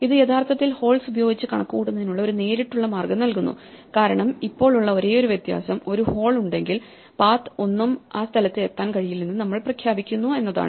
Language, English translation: Malayalam, This gives us a direct way to actually compute this even with holes because, the only difference now is that if, there is a hole we just declare that no paths can reach that place